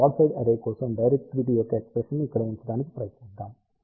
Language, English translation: Telugu, Now, let us try to put the expression of directivity for broadside array over here